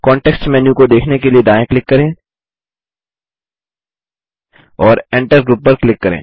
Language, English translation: Hindi, Right click to view the context menu and click on Enter Group